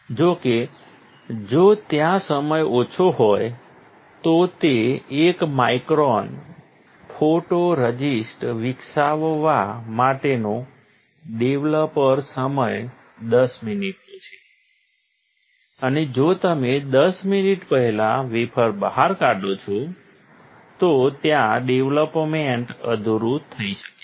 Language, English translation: Gujarati, However, if there is a; if the time is less, that is a developer time for developing 1 micron of photoresist is 10 minutes, right and if you take out the wafer before 10 minutes, then there can be incomplete development